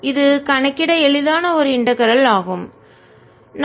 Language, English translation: Tamil, this is an easy integral to calculate